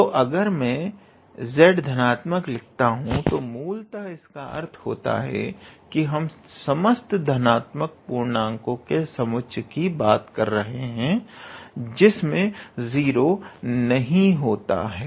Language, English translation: Hindi, So, if I write z positive that basically mean that we are talking about set of all positive integers not 0, which does not include 0